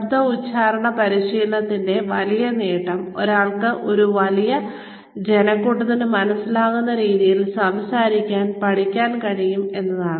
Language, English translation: Malayalam, The big benefit of voice and accent training is that, one is able to learn how to speak in a manner that one can be understood, by a larger population of people